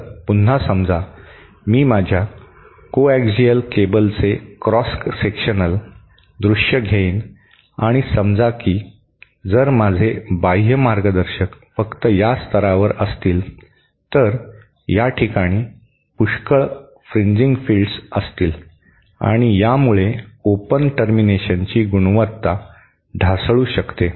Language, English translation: Marathi, So, again suppose it take a cross sectional view of my coaxial cable and say if I have have my outer conductor just at this level, this point, then there will be a lot of fringing fields and this will cause the quality of the open termination to degrade